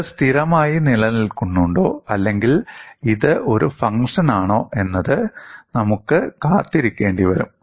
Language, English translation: Malayalam, Whether this remains a constant or whether it is the function of a, we will have to wait and see